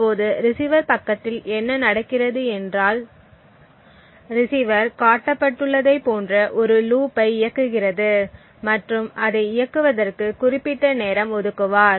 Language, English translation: Tamil, Now what happens on the receiver side is that the receiver also runs a similar loop as shown over here but the receiver would also time that particular loop